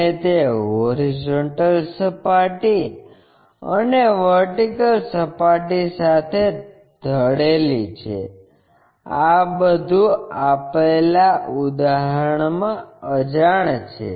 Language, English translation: Gujarati, And, it is inclination with horizontal plane and vertical plane; these are the unknowns in the problem